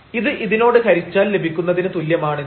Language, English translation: Malayalam, So, that is equal to this divided by this one